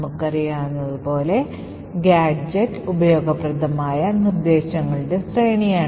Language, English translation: Malayalam, As we know a gadget is sequence of useful instructions which is ending with the return instruction